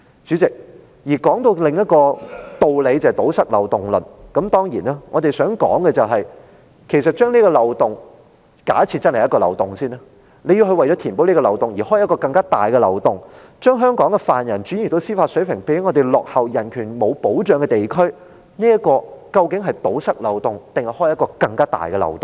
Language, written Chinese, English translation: Cantonese, 主席，談到另一個道理，即堵塞漏洞論。我們想指出，假設這真是一個漏洞，但如果為了填補這個漏洞，而要開啟另一個更大的漏洞，把香港的犯人轉移到司法水平較我們落後，而且人權沒有保障的地區，究竟漏洞是堵塞了還是擴大了呢？, Chairman regarding another theory that is the notion of plugging loopholes we would like to point out assuming there is a real loophole that if in order to plug this loophole another larger loophole has to be created in which Hong Kong offenders are surrendered to a region with judicial standards lower than ours and no protection for human rights is the loophole actually plugged or enlarged?